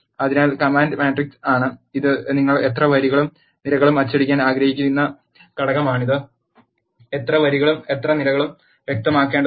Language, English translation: Malayalam, So, the command is matrix this is the element you want to print in all the rows and columns you have to specify how many rows and how many columns